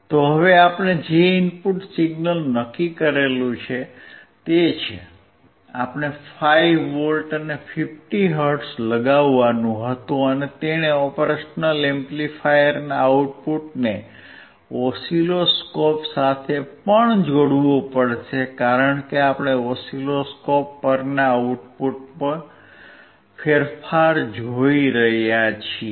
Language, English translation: Gujarati, So now, the input signal that we have decided is, we had to apply 5V and 50 hertz and he has to also connect the output of the operational amplifier to the oscilloscope, because we are looking at the change in the output on the oscilloscope